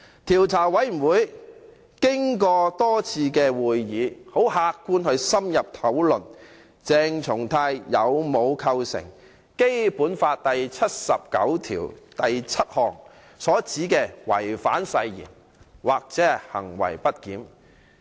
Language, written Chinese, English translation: Cantonese, 調查委員會經過多次會議，很客觀地深入討論鄭松泰的行為有否構成《基本法》第七十九條第七項所指的違反誓言及行為不儉。, IC held a number of meetings to conduct objective and in - depth discussions about whether CHENG Chung - tais conduct constitutes breach of oath and misbehaviour under Article 797 of the Basic Law